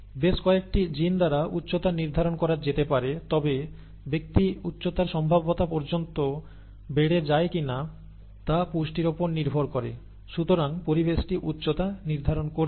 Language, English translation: Bengali, The height could be determined by a number of genes but whether the person grows up to the height potential, depends on the nutrition, right